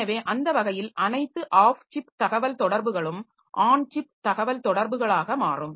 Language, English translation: Tamil, So, that way all the off chip communications that we have, so they will become on chip communication communication